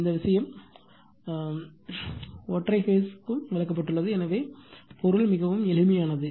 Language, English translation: Tamil, This thing has been explained also for single phase right, so meaning is very simple